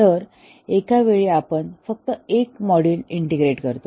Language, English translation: Marathi, So at a time we integrate only one module